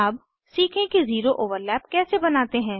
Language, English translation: Hindi, Now, lets learn how to create a zero overlap